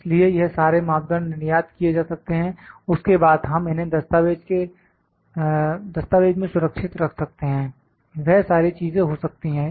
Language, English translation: Hindi, So, this all parameters can be exported then we can save it to the file all those things can happen